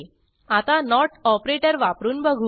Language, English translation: Marathi, Lets try out the not operator